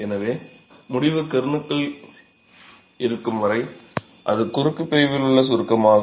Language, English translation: Tamil, So, as long as the resultant is within the kern, it is pure compression in the cross section